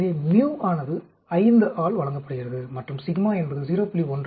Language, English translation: Tamil, So, mu is given by 5, and sigma is 0